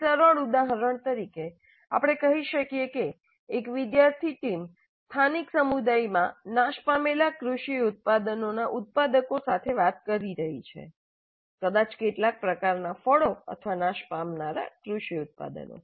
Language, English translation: Gujarati, As a simple example, let us say a student team is interacting with producers of perishable agricultural products in a local community